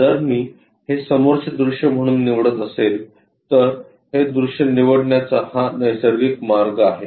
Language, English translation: Marathi, If I am going to pick this one as the front view, this is the natural way of picking up that view